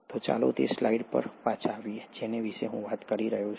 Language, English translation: Gujarati, So let’s come back to the slide which I was talking about